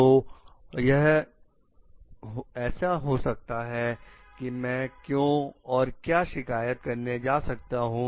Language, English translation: Hindi, So, it may so happen like the what, why should I go and complain